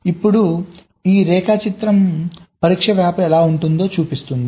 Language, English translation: Telugu, now this diagram shows how the test rapper will looks like